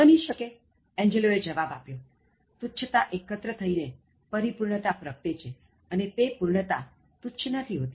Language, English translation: Gujarati, It may be so, replied Angelo, “but recollect that trifles make perfection, and that perfection is no trifle